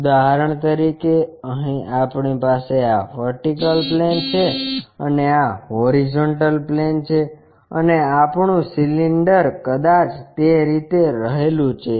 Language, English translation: Gujarati, For example, here we have this vertical plane and this is the horizontal plane and our cylinder perhaps resting in that way